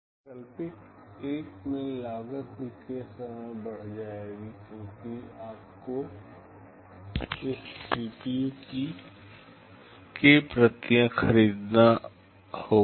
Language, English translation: Hindi, In alternative 1 the cost will also go up k time, because you have to buy k copies of this CPU